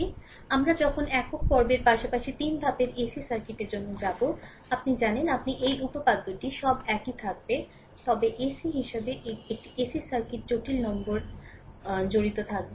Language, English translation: Bengali, So, while we go for single phase as well as three phase ac circuits, at that time this you know this theorem all will remain same, but as AC a AC circuits complex number will be involved